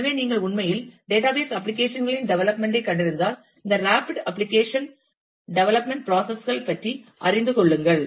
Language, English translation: Tamil, So, if you are locating into really the development of database applications, get yourself familiar with this rapid application development processes